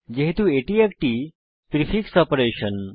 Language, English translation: Bengali, As it is a prefix operation